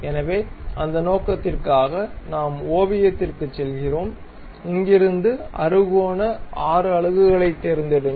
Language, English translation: Tamil, So, for that purpose we go to sketch, pick hexagon 6 units from here draw it